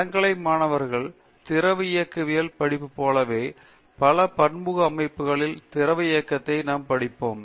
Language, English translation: Tamil, And just like student study fluid mechanics in undergraduate, we study the fluid mechanism in multiphase systems